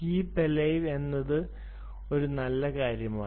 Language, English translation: Malayalam, keep alive is a nice thing